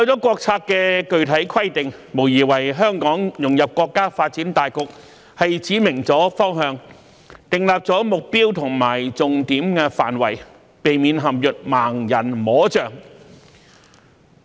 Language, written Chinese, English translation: Cantonese, 國策的具體規定無疑為香港融入國家發展大局指明了方向、訂立了目標和重點範圍，避免陷於"盲人摸象"。, These specific requirements of the national policy have undoubtedly provided guiding directions as well as set the goals and priorities for Hong Kongs integration into the overall development of the country so that we will not act like a blind man feeling an elephant